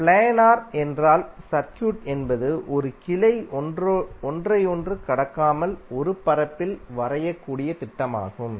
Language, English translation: Tamil, Planer means the circuit is the planer which can be drawn in a plane with no branches crossing one another